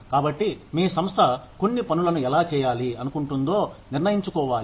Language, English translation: Telugu, So, your organization has to decide, how it wants to do certain things